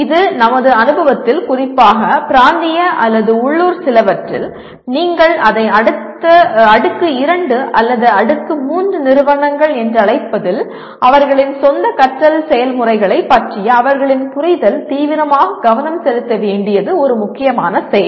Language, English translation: Tamil, This we found in our experience especially in some of the regional or local what do you call it tier 2 or tier 3 institutions one of the problems is their understanding of their own learning processes can be seriously what requires attention